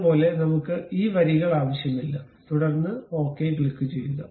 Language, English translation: Malayalam, Similarly, we do not really require these lines, then click ok